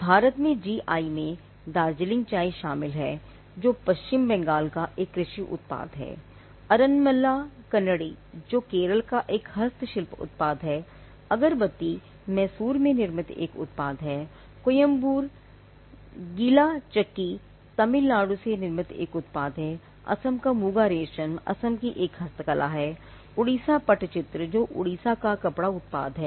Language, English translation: Hindi, Some registered GI is include Darjeeling tea, which is an agricultural product belonging to West Bengal, Aranmula Kannadi which is a handicraft product from Kerala, Mysore Agarbathi which is a manufactured product, Coimbatore wet grinder again a manufactured product from Tamilnadu, Muga silk of Assam again a handicraft from Assam, Orissa pattachitra which is a textile product from Odisha